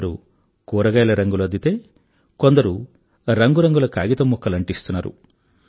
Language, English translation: Telugu, Some are using vegetable colours, while some are pasting bits and pieces `of paper